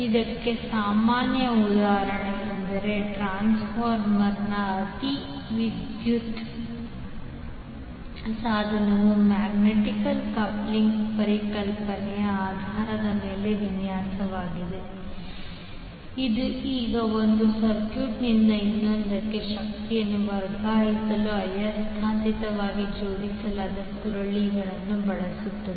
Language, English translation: Kannada, So the most common example for this is the transformer where the electrical device is design on the basis of the concept of magnetic coupling now it uses magnetically coupled coils to transfer the energy from one circuit to the other